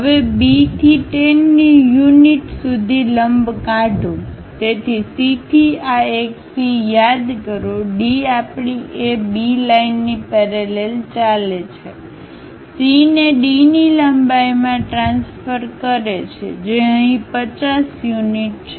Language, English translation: Gujarati, So, call this one C then from C, D goes parallel to our A B line, transfer C to D length, which is 50 units here